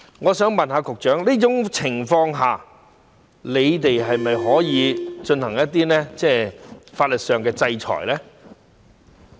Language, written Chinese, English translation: Cantonese, 我想問局長，在這種情況下，你們是否可以進行一些法律上的制裁呢？, May I ask the Secretary whether you can impose some legal sanctions in this case?